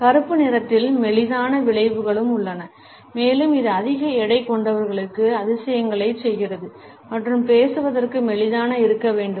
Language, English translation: Tamil, Black also has slimming effects and it works wonders for people who are overweight and need to look slimmer for a spoke